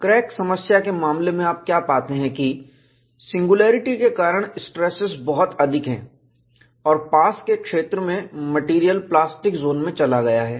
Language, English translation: Hindi, In the case of a crack problem, what you find is, because of singularity, the stresses are very high and the material has gone to the plastic zone, in the near vicinity